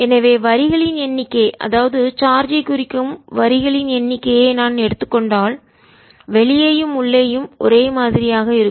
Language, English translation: Tamil, so the number of lines, if i take number of lines representing the charge, remains the same outside and inside